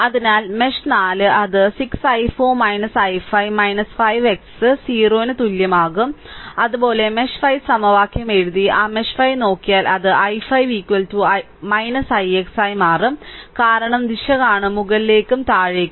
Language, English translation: Malayalam, So, if you do so, mesh 4 it will become 6 i 4 minus i 5 minus 5 i x double dash equal to 0, similarly mesh 5 you write the equation and look at that mesh 5 it will become i 5 is equal to minus i x double dash, because direction will just see upward and downward right